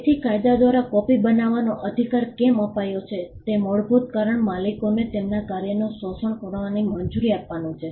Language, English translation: Gujarati, So, the reason fundamental reason why the right to copy is granted by the law is to allow the owners to exploit their work